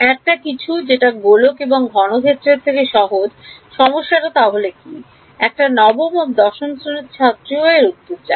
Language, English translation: Bengali, Something simpler than sphere and cube, what is a problem that even the class 9 or 10 student knows the answer too